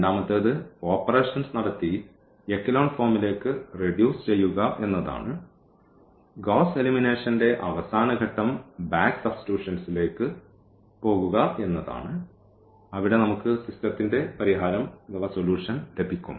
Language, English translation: Malayalam, The second one is to do reducing to this echelon form by doing these row operations, the last step of the Gauss elimination is going to be back substitution where we will get the solution of the system